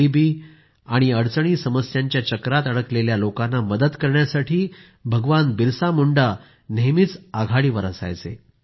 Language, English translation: Marathi, Bhagwan Birsa Munda was always at the forefront while helping the poor and the distressed